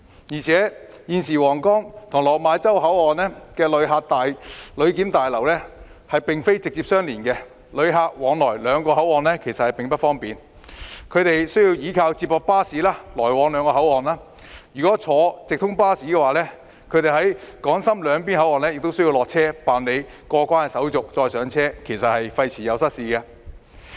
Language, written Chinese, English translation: Cantonese, 而且，現時皇崗/落馬洲口岸的旅檢大樓並非直接相連，旅客往來兩個口岸並不方便，須依靠接駁巴士；如果坐直通巴士，他們在港深兩邊口岸亦須下車辦理過關手續後才再上車，費時失事。, Thus co - location arrangement that provides clearance convenience is indispensable . At present the Huanggang Port and the Lok Ma Chau Passenger Clearance Building are not directly connected . It is inconvenient for travellers to take shuttle buses to travel between two sides; if they take cross - boundary buses they need to get off the bus and go through the clearance procedures at both sides then get on the bus again which is time - consuming and ineffective